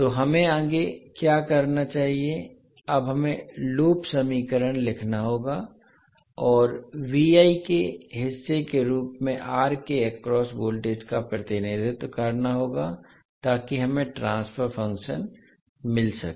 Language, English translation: Hindi, So what we have to do next, now we have to write the loop equation and represent the voltage across R as part of Vi, so that we get the transfer function